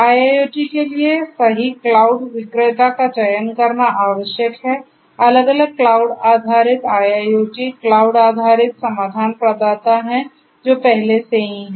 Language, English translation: Hindi, So, it is required to choose the right cloud vendor for IIoT, there are different; different cloud based IIoT cloud based solution providers that are already there